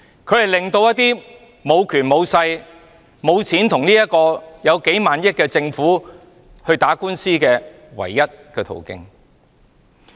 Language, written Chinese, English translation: Cantonese, 法援是無權無勢無錢的人可與坐擁數萬億元的政府打官司的唯一途徑。, Legal aid is the only means for people with no power nor influence and money to confront the Government which sits on trillions of dollars at court